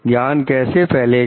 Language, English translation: Hindi, How the knowledge is going to spread